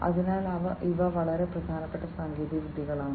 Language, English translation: Malayalam, So, these are very important technologies